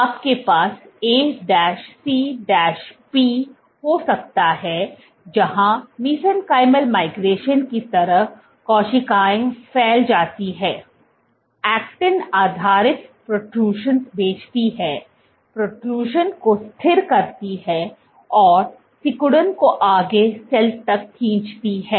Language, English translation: Hindi, You might have, A C P where, just like mesenchymal migration, cells protrude, sends actin based protrusions, stabilize the protrusion and use contractility pull to the cell forward